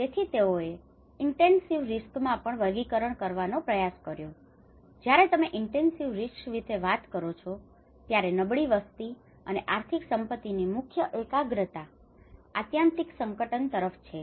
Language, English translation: Gujarati, So they tried to classify into intensive risk when you say intensive risk major concentrations of the vulnerable populations and economic asserts exposed to the extreme hazard